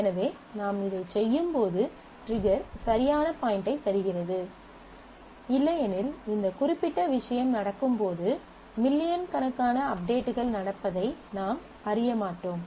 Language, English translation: Tamil, So, and the trigger gives you the right point when you can do this because otherwise you will not know in terms of millions of updates happening when this particular thing is going on